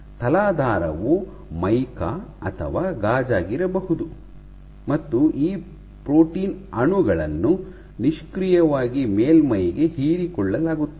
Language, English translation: Kannada, The substrate might be mica or glass and you have let us say these protein molecules are passively adsorbed onto the surface